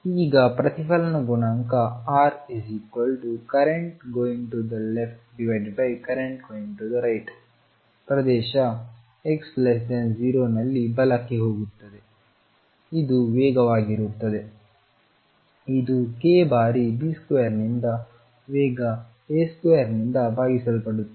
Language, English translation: Kannada, Now, reflection coefficient R is the current to the left divided by current going to right in region x less than 0, this is going to be the speed which will be given by k times B square divided by speed A square